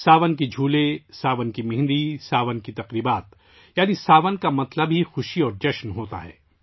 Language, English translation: Urdu, The swings of Sawan, the mehendi of Sawan, the festivities of Sawan… that is, 'Sawan' itself means joy and enthusiasm